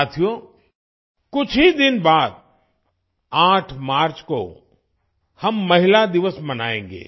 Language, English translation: Hindi, Friends, just after a few days on the 8th of March, we will celebrate 'Women's Day'